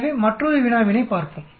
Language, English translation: Tamil, So let us look at another problem